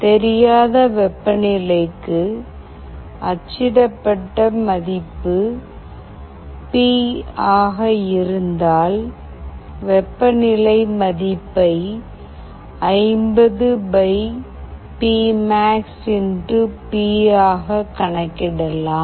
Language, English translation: Tamil, Then for an unknown temperature, if the value printed is P, then the temperature value can be calculated as 50 / P max * P